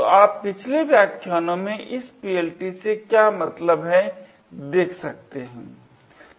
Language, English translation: Hindi, So, you could refer to the previous lecture also to see what this PLT actually means